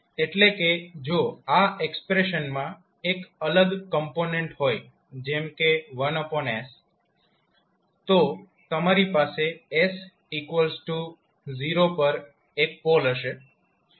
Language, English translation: Gujarati, Means if this expression is having another component like one by s then you will have one pole at s is equal to 0